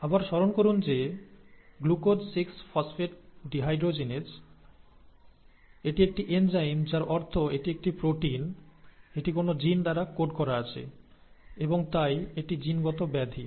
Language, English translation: Bengali, Again recall that ‘Glucose 6 Phosphate Dehydrogenase’; It is an enzyme, which means it is a protein, it is coded by a gene, right